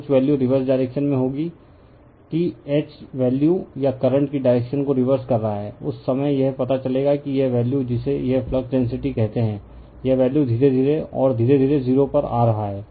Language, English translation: Hindi, So, some value of will be there in the reverse direction that H value or you are reversing the direction of the current, at that time you will find that this value right your what you call this flux density right, this value you are slowly and slowly coming to 0